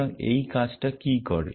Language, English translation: Bengali, So, what this action does